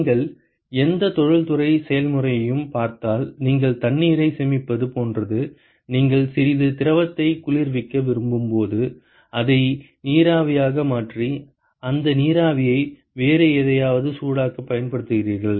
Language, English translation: Tamil, If you look at any industrial process it is like you conserve water you convert it into steam when you want to cool some fluid and use that steam to heat something else